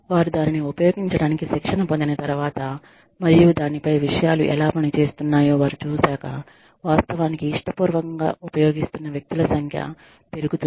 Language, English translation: Telugu, But, after they have been trained to use it, and they see how things are working on it, the number of people, who are actually using it willingly, goes up